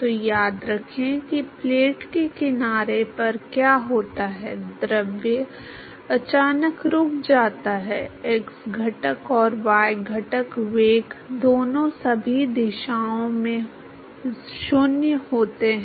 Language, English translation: Hindi, So, remember what happens at the edge of the plate the fluid suddenly comes to rest, both the x component and the y component velocity are 0 in all directions